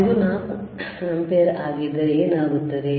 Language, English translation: Kannada, If it is 4 ampere, what will happen